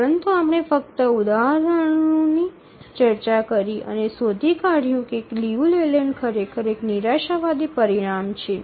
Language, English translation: Gujarati, But we just throw some example, found that Liu Leyland is actually a pessimistic result